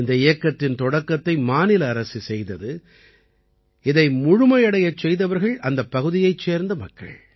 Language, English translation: Tamil, This campaign was started by the state government; it was completed by the people there